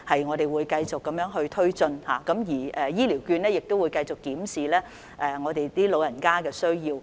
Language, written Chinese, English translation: Cantonese, 我們會繼續推展這些工作，而長者醫療券計劃亦會繼續檢視長者的需要。, We will continue to promote this work whereas the Scheme will also continue to review the needs of the elders